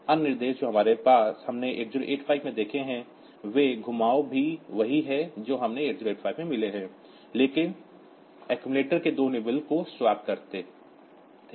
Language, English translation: Hindi, So, these accepting swap other instructions we have seen in 8085 also those rotations are same as we have got in 8085, but swap it will swap the two nibbles of the accumulator